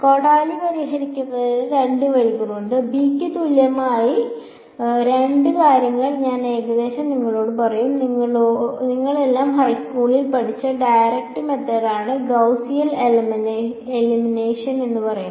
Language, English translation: Malayalam, I will just roughly tell you two things there are two ways of solving ax is equal to b; one is what is called direct method which you all have studied in high school it is called Gaussian elimination